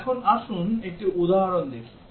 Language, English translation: Bengali, Now, let us look at an example